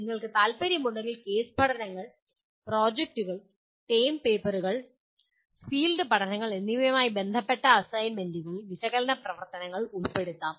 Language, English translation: Malayalam, If you are interested analyze activities can be included in assignments related to case studies, projects, term papers and field studies